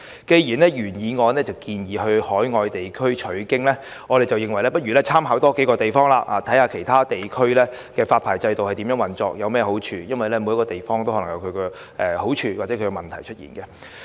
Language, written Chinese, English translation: Cantonese, 既然原議案建議參考海外地區的做法，我們認為不如多參考數個地方，看看其他地區的發牌制度如何運作及有何好處，因為每個地方也可能有各自的優劣。, As the original motion has proposed that reference be drawn from overseas practice we think we may as well draw reference from a few more places to study the operation and advantages of the licensing systems in other regions because they may have their respective merits and demerits